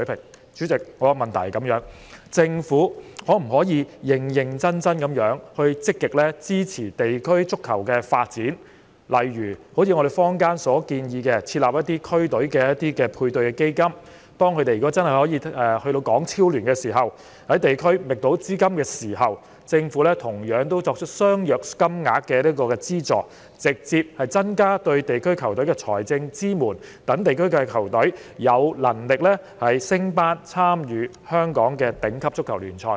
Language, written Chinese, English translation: Cantonese, 代理主席，我的補充質詢是，政府可否認真積極支持地區足球發展，例如，坊間建議為區隊設立配對基金，當它們參與港超聯及在地區覓得資金，政府便提供相若金額的資助，直接增加對區隊的財政支援，讓區隊有能力升班，參與香港的頂級足球聯賽。, Deputy President my supplementary question is Will the Government seriously and actively support district football development? . For example the community proposes to set up a matching fund for district teams . When district teams participate in HKPL and obtain funding in the districts the Government will provide similar amounts of funding